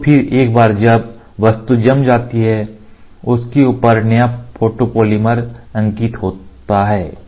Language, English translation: Hindi, So, then once the object which is cured sinks down now the fresh photopolymer face on top of it